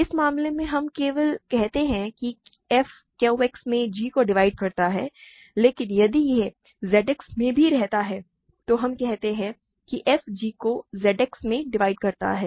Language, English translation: Hindi, In this case we only say f divides g in Q X, but if it also lives in Z X we say f divides g in Z X